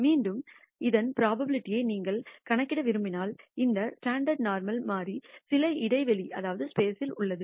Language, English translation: Tamil, Again, if you want to compute the probability of this, that the standard normal variable lies within some interval